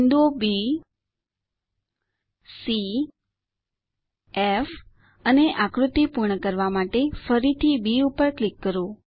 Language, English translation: Gujarati, Click on the points B C F and B once again to complete the figure